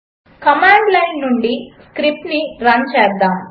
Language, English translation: Telugu, Let us run that script from command line